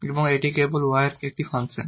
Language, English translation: Bengali, So, the function of y only